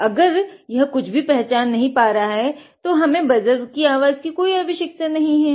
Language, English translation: Hindi, So, if it is not detecting anything we need not have the need the buzzer to make any sound